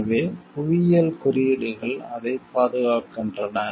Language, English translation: Tamil, So, the geographical indicators protect for that